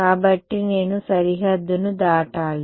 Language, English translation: Telugu, So, I have to straddle the boundary right